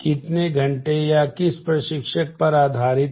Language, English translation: Hindi, How many based on hours or which instructor has